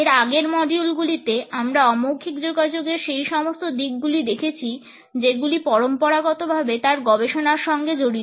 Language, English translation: Bengali, In the previous modules, we have looked at those aspects of nonverbal communication which have been traditionally associated with its studies